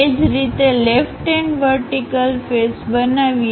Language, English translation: Gujarati, Similarly, let us construct left hand vertical face